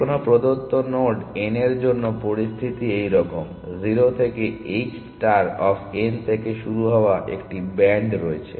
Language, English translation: Bengali, Situation is like this for any given node n, there is a band starting from 0 to h star of n